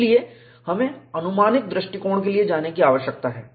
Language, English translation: Hindi, So, we need to go in for approximate approach